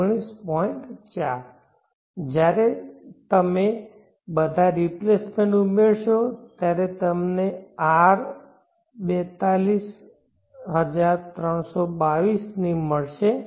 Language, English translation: Gujarati, So when you add all the replacements you will get R is equal to rupees 424 2